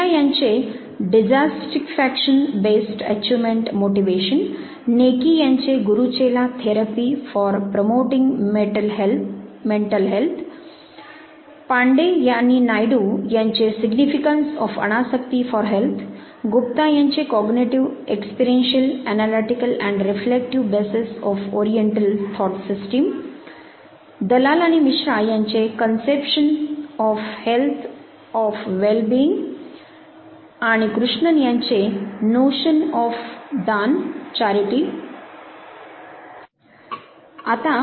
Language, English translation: Marathi, Dissatisfaction based achievement motivation by Mehta, Guru Chela therapy for promoting mental health by Neki, Significance of anasakti for health by Pande and Naidu, Cognitive, experiential analytical and reflective bases of oriental thought system by Gupta, Conception of health and wellbeing by Dalal and Misra and Notion of daan that is charity by Krishnan